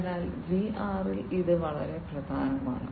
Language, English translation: Malayalam, So, this is also very important in VR